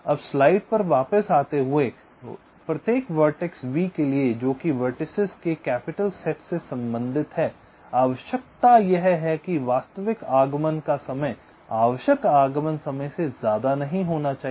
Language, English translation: Hindi, so, coming back to the slide, so we, for every vertex v belonging to capital set of vertices, the requirement is the actual arrival time should not be grater then the required arrival time